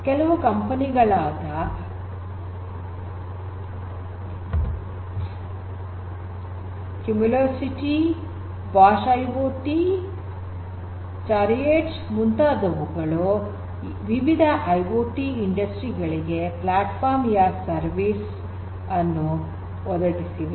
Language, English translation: Kannada, Software from like a Cumulocity, Bosch IoT, Carriots they offer platform as a service for different IoT industries